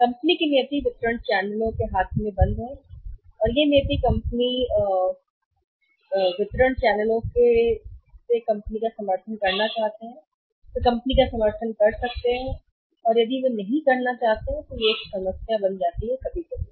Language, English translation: Hindi, The company's destiny is locked in the hands of distribution channels companies destiny is locked in the hands of distribution channels in distribution channels want to support the company they can support the company if they do not want to support the company then there is a problem sometimes